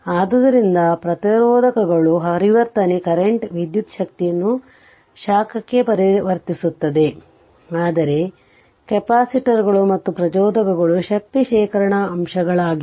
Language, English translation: Kannada, So, resistors convert your current your convert electrical energy into heat, but capacitors and inductors are energy storage elements right